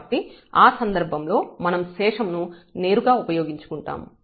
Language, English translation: Telugu, So, in that case we will use make use of the remainder term directly